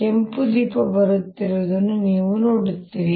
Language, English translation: Kannada, you see the red light coming